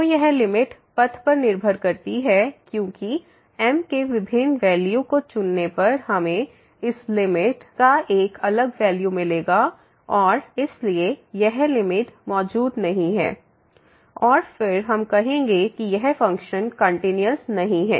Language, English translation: Hindi, So, this limit depends on path because choosing different value of we will get a different value of this limit and hence this limit does not exist and then again we will call that this function is not continuous